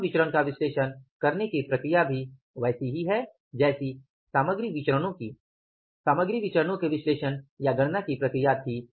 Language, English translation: Hindi, The process of analyzing the labor variance is also same as the process of analyzing the or calculating the material variance was